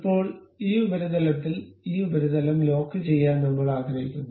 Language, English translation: Malayalam, Now, I want to really lock this surface with this surface